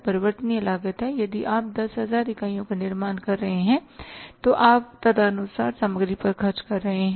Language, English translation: Hindi, Variable cost is that if you are manufacturing 10,000 units you are spending on the material accordingly